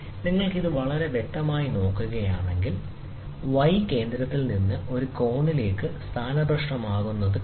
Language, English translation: Malayalam, So, if you look at it very clearly, you see the y is getting displaced from the center to a corner